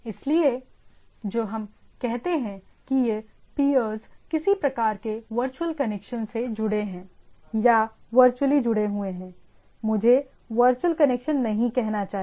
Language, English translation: Hindi, So, what we say this peers are in some sort of a virtual connection or virtually connected I should not say virtual connection